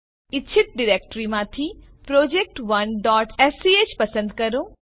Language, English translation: Gujarati, Select project1.sch from desired directory